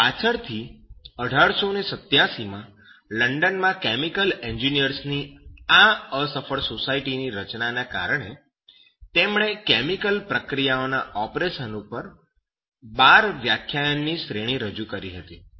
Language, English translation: Gujarati, Later on, because of this unsuccessful formation of this society of chemical engineers in London in 1887, he presented a series of 12 lectures on the operation of chemical processes